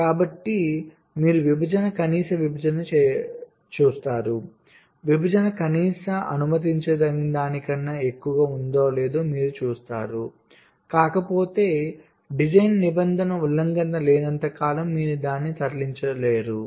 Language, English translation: Telugu, so you look at the separation, minimum separation you see that whether the separation is greater than the minimum permissible, if not, you move it as long as there is no design rule violation